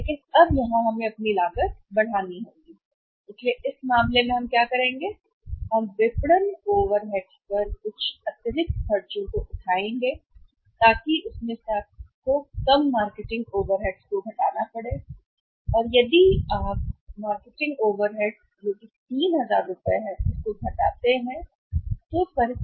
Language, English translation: Hindi, But now here we have to make our cost will increase, so in this case what we will do here we are going to incur some additional expenses on the marketing overheads so you have to subtract that less marketing overheads and if you subtract the marketing overheads of how much 3000 rupees